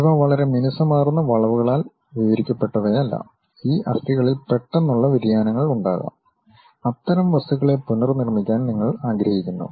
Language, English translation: Malayalam, These are not just described by very smooth curves, there might be sudden variation happens on these bones, you want to really reconstruct such kind of objects